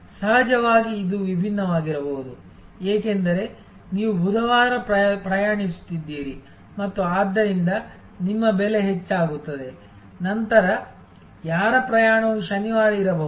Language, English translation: Kannada, Of course, it can also be different, because you are travelling on Wednesday and therefore, your price will be higher, then somebody whose travelling may be on Saturday